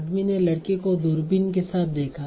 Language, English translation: Hindi, The men saw the boy with the binoculars